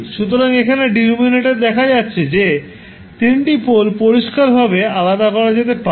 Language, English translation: Bengali, So, here you can see in the denominator, you can clearly distinguish all three poles